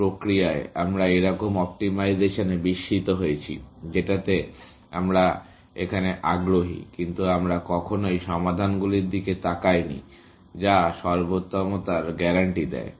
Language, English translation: Bengali, In the process, we, sort of wondered into optimization, which is what we interested in, but we never looked at solutions, which guarantee optimality